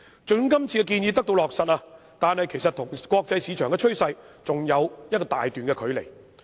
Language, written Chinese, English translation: Cantonese, 即使這次建議得到落實，香港的做法其實跟國際市場的趨勢仍有一大段距離。, Even if the proposals this time around are implemented a huge discrepancy actually still exists between the practice of Hong Kong and the international market trend